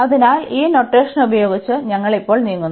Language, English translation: Malayalam, So, with this notation we move now